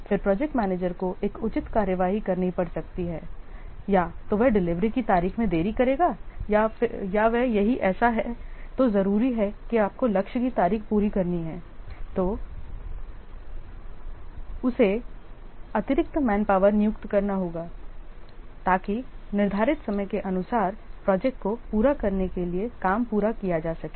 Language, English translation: Hindi, Then an appropriate action the project manager may take either he will delay the delivery date or he will if it is so urgent that you have to meet the target date then he has to employ extra manpower so as to complete the job, complete the project in time as per the prescribed schedule